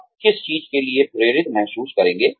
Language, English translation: Hindi, What will you feel motivated for